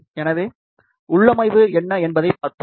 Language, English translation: Tamil, So, let us see what the configuration is